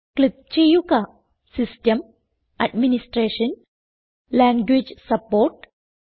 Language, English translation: Malayalam, Click on System, Administration and Language support